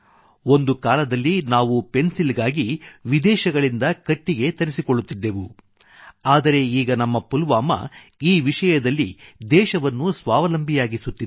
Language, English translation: Kannada, Once upon a time we used to import wood for pencils from abroad, but, now our Pulwama is making the country selfsufficient in the field of pencil making